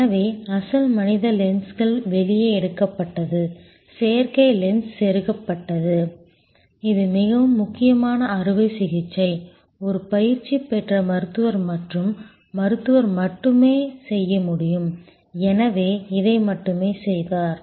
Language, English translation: Tamil, So, original human lens taken out, the artificial lens inserted, this is the most critical operation could only be performed by a trained doctor and the doctor therefore, did only this